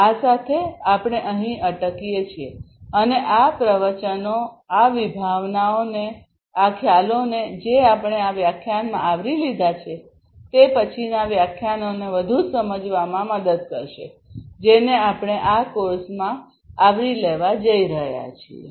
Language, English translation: Gujarati, With this we stop over here and these lectures will these the concepts, that we have covered in this lecture will help in further understanding of the later lectures, that we are going to cover in this course